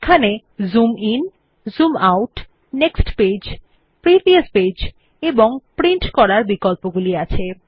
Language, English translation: Bengali, There are options to Zoom In, Zoom Out, Next page, Previous page and Print